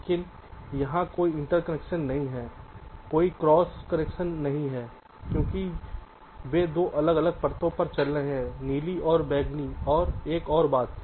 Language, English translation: Hindi, but here there is no interconnection, no cross connection, because they are running on two different layers, blue and purple